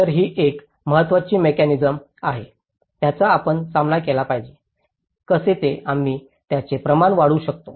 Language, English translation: Marathi, So, this is an important mechanism we have to tackle, how to, we can scale it up